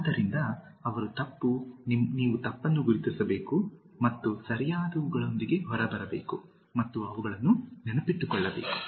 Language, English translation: Kannada, So, they are wrong, you have to identify what is wrong and come out with the correct ones and remember them